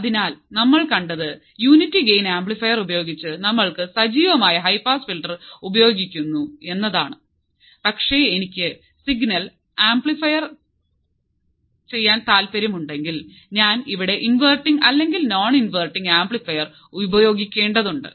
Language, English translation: Malayalam, So, what we have seen now is that we are using active high pass filter with unity gain amplifier, but what if I want to amplify the signal then I need to use the inverting or non inverting amplifier here